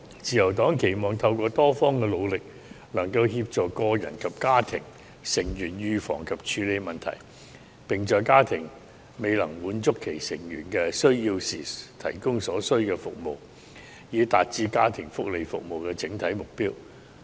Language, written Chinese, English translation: Cantonese, 自由黨期望透過多方的努力，能夠協助個人及家庭成員預防及處理問題，並在家庭未能滿足其成員的需要時，提供所需服務，以達致家庭福利服務的整體目標。, The Liberal Party hopes that through the pooled efforts of all parties concerned the problems of individuals and family members can be dealt with and the Family and Child Protective Services Units can provide necessary services to the person in need if their family cannot do so with a view to achieving the service objectives of the Family and Child Protective Services Units